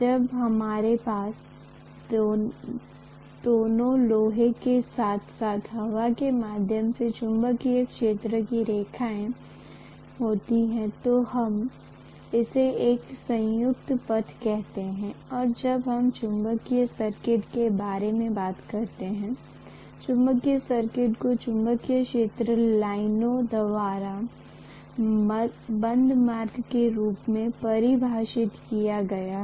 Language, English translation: Hindi, When we have the magnetic field lines passing through both iron as well as air we call that as a composite path and when we talk about magnetic circuit; the magnetic circuit is defined as the closed path followed by the magnetic field lines